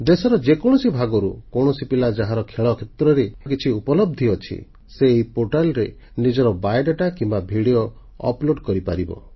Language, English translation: Odia, Any talented child who has an achievement in sports, can upload his biodata or video on this portal